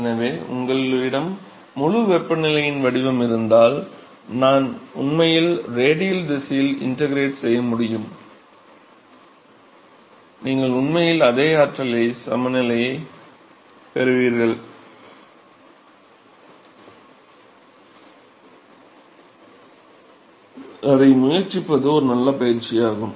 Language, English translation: Tamil, So, if you have a full temperature profile, we can actually integrate in the radial direction and you would actually get a same energy balance and it is a good exercise to try it out ok